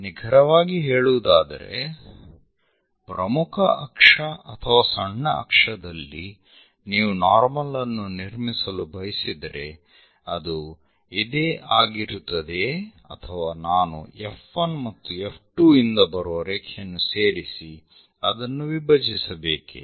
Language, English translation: Kannada, Precisely on major axis or minor axis, you would like to construct normal, will that be straightforwardly this one or do I have to join the lines from F 1 F 2 and bisect it